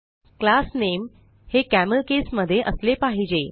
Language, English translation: Marathi, * The class name should be in CamelCase